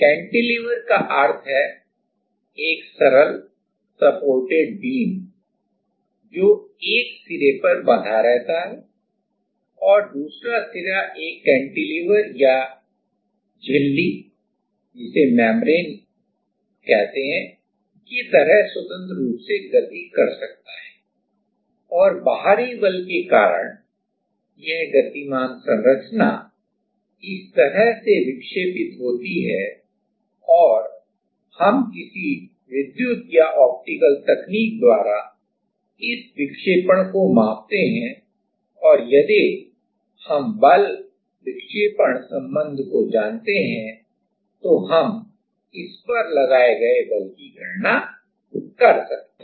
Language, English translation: Hindi, Cantilever means a simply supported beam which is fixed at one end and other end can freely move like a cantilever or a membrane and, because of the external force this moving structure is deflected like this and we measure the deflection / some electrical or optical technique and then we can back calculate the applied force, if we know the force deflection relation